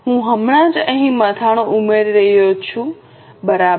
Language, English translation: Gujarati, I will just add the heading here